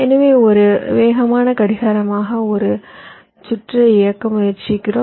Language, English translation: Tamil, so we are trying to run a circuit as the fastest possible clock